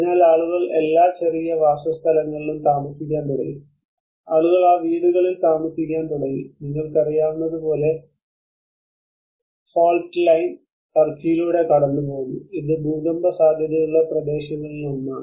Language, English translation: Malayalam, So people started dwelling to their all small dwellings and people started living in those houses and as you know the fault line passes through turkey and it has been one of the earthquake prone area